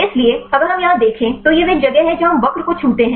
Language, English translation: Hindi, So, if we look at here this is the place where we the touch the curve